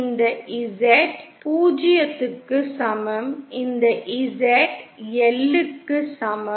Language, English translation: Tamil, This is Z equal to 0 this is Z equal to L